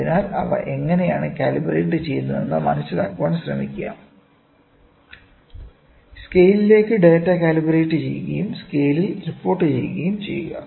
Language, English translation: Malayalam, So, try to understand how they calibrate, calibrate the data to scale and report in scale, ok